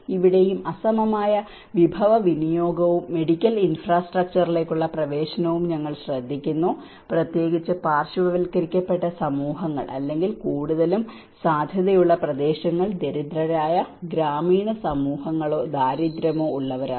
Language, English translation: Malayalam, Even here, we notice that there is an unequal resource allocation and access to medical infrastructure, especially the marginalized communities or mostly prone areas are the poor rural communities or the poverty you know communities